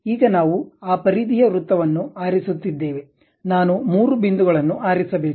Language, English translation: Kannada, Now, we are picking that perimeter circle, three points I have to pick